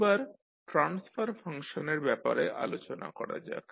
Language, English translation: Bengali, Now, let us talk about the Transfer Function